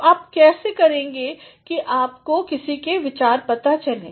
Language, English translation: Hindi, And, how do you do that you come across somebody’s ideas